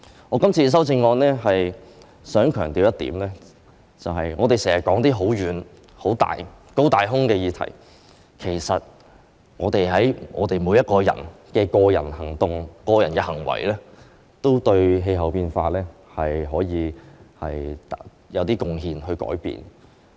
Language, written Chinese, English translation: Cantonese, 我今次的修正案想強調一點，我們經常說"高大空"的議題，其實我們每個人的個人行為都可以對改變氣候變化作出少許貢獻。, There is one thing I wish to emphasize with my amendments this time in respect of this high - sounding topic we often discuss actually every one of us can do something against climate change with our personal behaviours